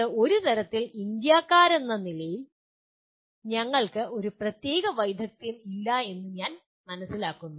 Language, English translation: Malayalam, This is somehow as Indians, I find that we do not have this particular skill